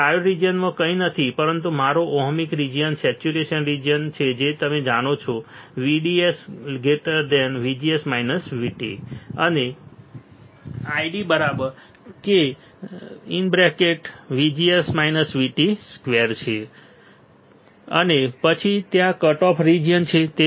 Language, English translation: Gujarati, Now, in triode regions is nothing, but your ohmic region, saturation region you know VDS is greater than VGS minus V T and I D equals to k times VGS minus V T volts square and then there is cut off region